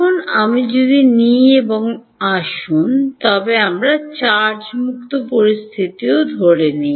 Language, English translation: Bengali, Now, if I take and let us also assume a charge free situation